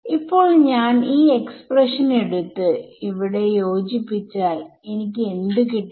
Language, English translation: Malayalam, So, now, if I take this expression and combine it with this over here, what do I get